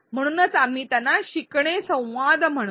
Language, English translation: Marathi, Hence we call them learning dialogues